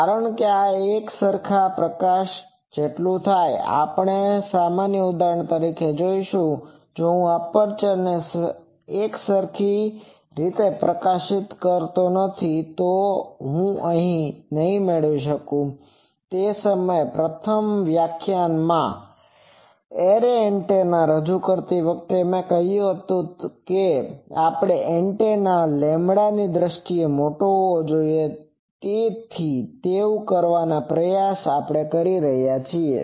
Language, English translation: Gujarati, Because this happens for uniform illumination we will see other examples, if I not illuminate the aperture uniformly, I will not get these; that time while introducing array antennas in the first lecture I said that we try to make the antenna should be large in terms of lambda